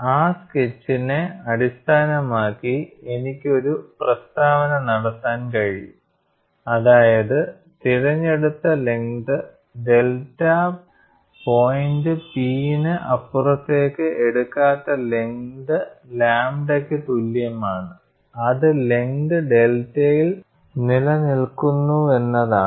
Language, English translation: Malayalam, We have already seen the sketch, based on that sketch I can make a statement that length delta is chosen such that; the load that is not taken beyond point P on length lambda is equal to the load sustained on length one